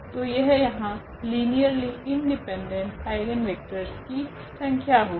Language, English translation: Hindi, So, here that is the number of linearly independent eigen vectors